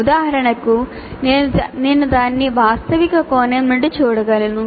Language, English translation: Telugu, For example, I can look at it from factual perspective